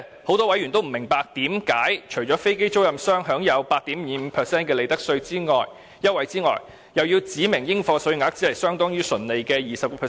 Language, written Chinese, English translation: Cantonese, 很多委員也不明白，為何飛機租賃商除可享有 8.25% 的利得稅優惠外，還要指明應課稅額相當於純利的 20%？, Many members do not understand why the Government has to specify that aircraft lessors are subject to a taxable amount of 20 % of the tax base in addition to the profits tax concessions of 8.25 % given to them